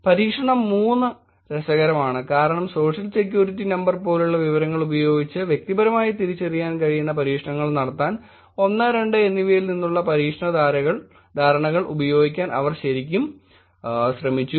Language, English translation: Malayalam, Experiment 3 is interesting because they actually tried using the experiment understandings from experiment 1 and 2 to take this personally identifiable with information likes Social Security Number